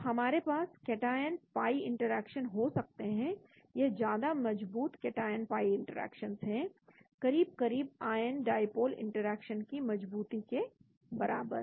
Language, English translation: Hindi, So we can have cation pi interactions, this is much stronger cation pi interactions may be as strong as ion dipole interaction